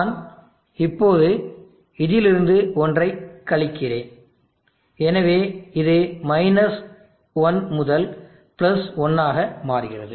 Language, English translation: Tamil, I am now subtracting one from this, so it becomes 1 to +1